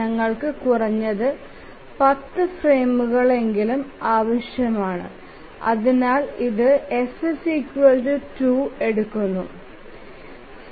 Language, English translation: Malayalam, So we need at least 10 frames and therefore this just holds f equal to 2